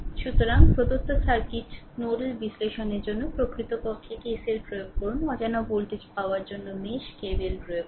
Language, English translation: Bengali, So, for a given circuit nodal analysis actually we apply KCL, to obtain unknown voltage while mesh apply KVL